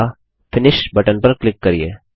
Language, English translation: Hindi, Next click on the Finish button